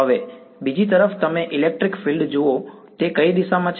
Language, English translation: Gujarati, Now, on the other hand you look at the electric field what way is it